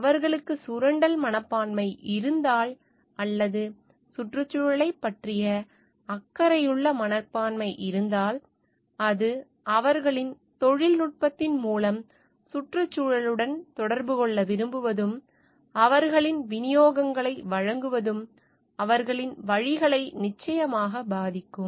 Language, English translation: Tamil, If they have a exploitative attitude or they have a caring attitude towards the environment, it will definitely affect their ways that they are trying to like interact with the environment through their technology, and to give their deliverables